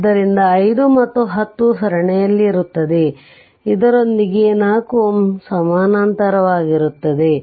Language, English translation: Kannada, So, 5 and 10 are in series with that the 4 ohm is in parallel